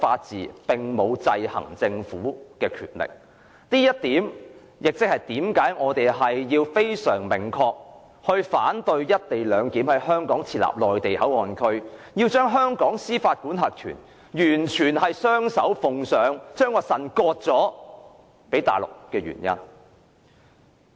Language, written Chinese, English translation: Cantonese, 這是其中一個原因解釋為何我們明確反對在香港設立"一地兩檢"內地口岸區，將香港司法管轄權雙手奉上，把腎臟割予內地。, This is one reason why we expressly oppose the setting up of the Mainland Port Area MPA in Hong Kong for the co - location arrangement and also the surrender of Hong Kongs jurisdiction to the Mainland like handing over our kidney to them